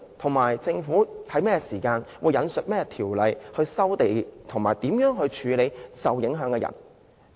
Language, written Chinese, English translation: Cantonese, 此外，政府會在何時引述甚麼條例收地，以及處理受影響的人士？, In addition when will the Government resume land and which ordinance will be invoked? . How will the Government handle the people affected?